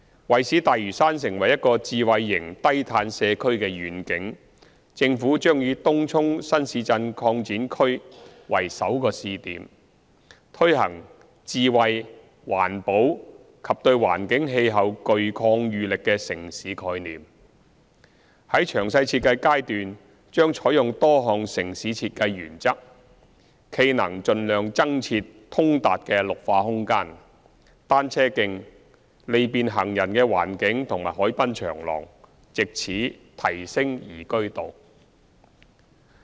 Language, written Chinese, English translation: Cantonese, 為使大嶼山成為一個智慧型低碳社區的願景，政府將以東涌新市鎮擴展區為首個試點，推行智慧、環保及對環境氣候具抗禦力的城市概念，在詳細設計階段將採用多項城市設計原則，冀能盡量增設通達的綠化空間、單車徑、利便行人的環境和海濱長廊，藉此提升宜居度。, To develop Lantau into a smart and low - carbon community we will take TCNTE as the first pilot project that is premised on the planning of a smart and green city that is resilient to environment and climate . In formulating detailed design we will adopt various urban design principles with a view to providing more accessible greening space cycle track pedestrian - friendly environment and waterfront promenade as far as possible thereby enhancing liveability